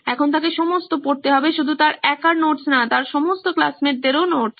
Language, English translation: Bengali, Now he has to go through not his notes alone, but all his classmates’ notes as well